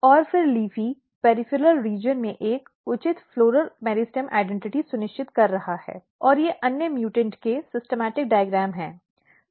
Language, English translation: Hindi, And then LEAFY is ensuring a proper floral meristem identity, in the peripheral region and these are some other mutants the typical schematic diagram of the mutants